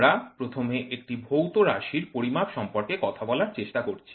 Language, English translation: Bengali, We are trying to talk about first measure a physical variable